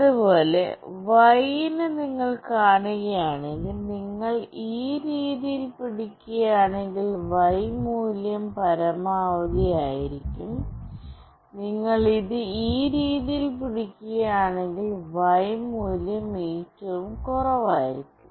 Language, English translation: Malayalam, Similarly, for Y if you see, if you hold it this way, the Y value will be maximum; and if you hold it in this way, the Y value will be minimum